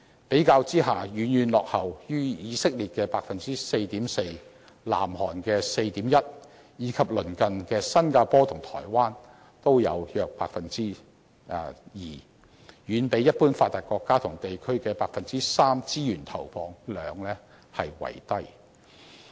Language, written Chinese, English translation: Cantonese, 比較之下，遠遠落後於以色列的 4.4%、南韓的 4.1%， 以及鄰近的新加坡和台灣的約 2%， 也遠比一般發達國家和地區的 3% 資源投放量為低。, In comparison ours trails far behind the 4.4 % in Israel the 4.1 % in South Korea the 2 % in our neighbours Singapore and Taiwan and is way lower than the 3 % resources allocation made by other developed countries and areas